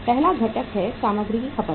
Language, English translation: Hindi, First component is the material consumed